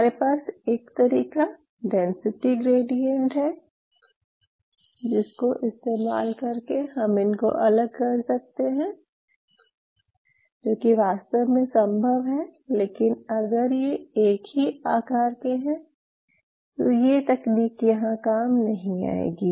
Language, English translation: Hindi, So, I told you one options I have is that I separate them out by density gradient which is possible actually, but if they are of the same size then the density gradient would not work out